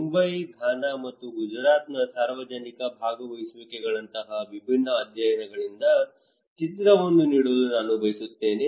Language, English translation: Kannada, I will try to give a picture from different case studies like public participations in Mumbai, in Ghana and also in Gujarat okay